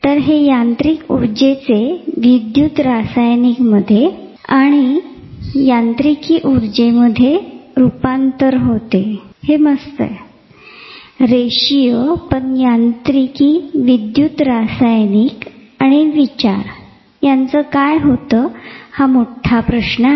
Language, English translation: Marathi, So, this conversion of mechanical to electro chemical to again mechanical, wonderful linear; what happens to mechanical, electro chemical, and thought big questions